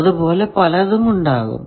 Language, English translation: Malayalam, So, there may be several such